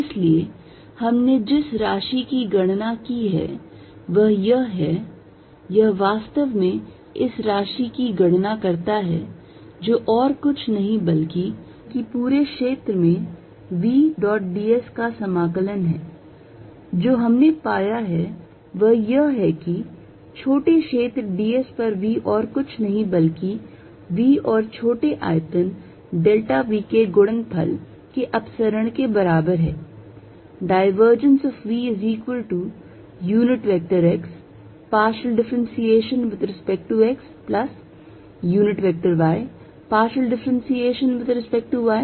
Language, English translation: Hindi, So, what the quantity we have calculated is this, it actually calculated this quantity which is nothing but v dot ds integrated over the entire area, and what we have found is that v on this is small area ds is nothing but equal to divergence of v times small volume delta v